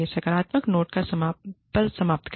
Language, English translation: Hindi, End on a positive note